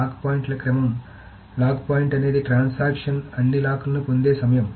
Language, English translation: Telugu, So, a lock point is the time when a transaction gets all the locks